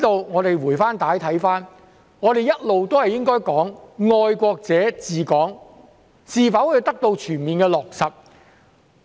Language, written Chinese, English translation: Cantonese, 我們回帶看看，我們一直都應該說"愛國者治港"是否得到全面的落實。, Let us look back we should have all along asked whether patriots administering Hong Kong has been fully implemented